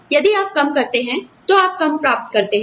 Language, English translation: Hindi, If you do less, you get less